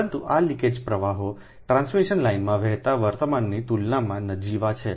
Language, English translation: Gujarati, this leakage currents are negligible as compared to the current flowing in the transmission lines